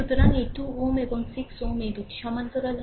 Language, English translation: Bengali, So, this 2 ohm and 6 ohm, this 2 are in parallel right